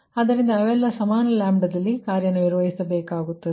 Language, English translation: Kannada, so they all have to operate at equivalent ah, equal lambda